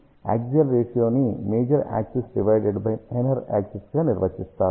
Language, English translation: Telugu, So, axial ratio is defined as major axis divided by minor axis